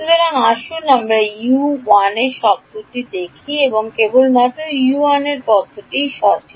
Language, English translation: Bengali, So, U 1 let us look at the U 1 term there is only U 1 term right